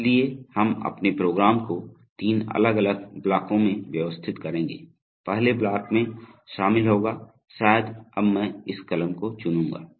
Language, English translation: Hindi, So, we will organize our program into three different blocks, the first block the will contain, so maybe I will choose this pen now